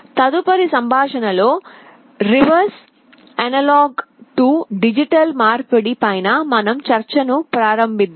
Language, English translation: Telugu, In the next lecture, we shall be starting our discussion on the reverse, analog to digital conversion